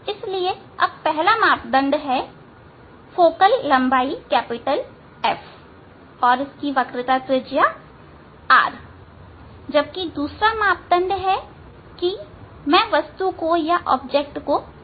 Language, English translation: Hindi, So now, one parameter is focal length F or radius of curvature r then second things are that this where I will putting the object